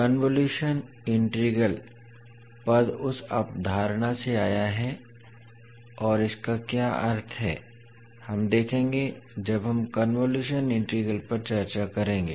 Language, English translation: Hindi, So the term convolution integral has come from that particular concept and what does it mean we will see when we will discuss the convolution integral in detail